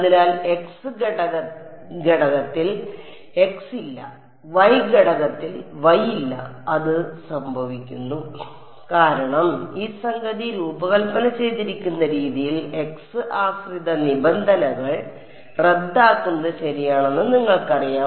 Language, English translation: Malayalam, So, it is interesting to note that in the x component there is no x, in the y component there is no y and that just happens because, of the way in which this thing is designed these you know the x dependent terms cancel off ok